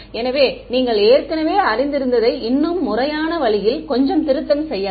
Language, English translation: Tamil, So, just the revision of what you already know in a little bit more formal way